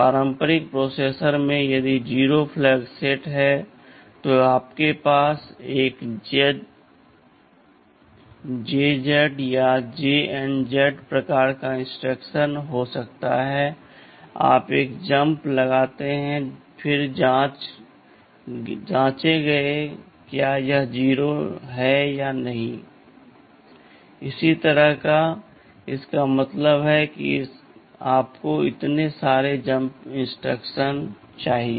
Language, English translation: Hindi, Well Iinn conventional processors if the 0 flag is set you can have a jump if 0 jump if non 0 zeroJZ or JNZ kind of instructions, you do a jump then check if it is not 0, then add a draw is do not addand so on; that means, you need so many jump instructions